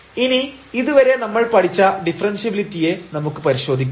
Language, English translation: Malayalam, Now, the testing of the differentiability what we have learned so far